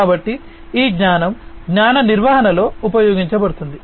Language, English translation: Telugu, So, this knowledge will be used in knowledge management